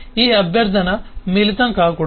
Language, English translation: Telugu, this request should not get mixed up